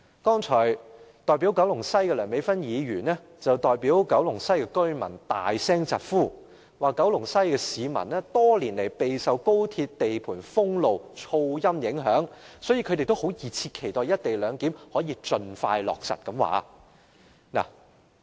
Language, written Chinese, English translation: Cantonese, 代表九龍西的梁美芬議員剛才代表九龍西居民大聲疾呼，指九龍西的市民多年來備受高鐵地盤封路及噪音影響，所以他們也熱切期待"一地兩檢"可以盡快落實。, Dr Priscilla LEUNG who represents Kowloon West has cried at the top of her voice that the residents there are eagerly looking forward to the early implementation of the co - location arrangement because they have been battered by the traffic congestion and noise caused by the construction of the West Kowloon Station for many years